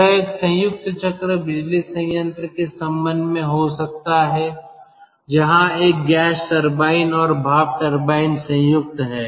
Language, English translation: Hindi, it could be there in connection with a combined cycle power plant, where a gas turbine and the steam turbine is combined